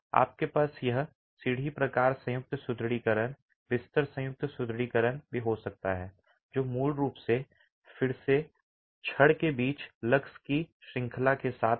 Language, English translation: Hindi, You can also have this ladder type joint reinforcement, bed joint reinforcement, which is basically with a series of lugs between the rods